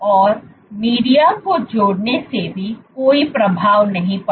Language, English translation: Hindi, And even addition of media did not have any influence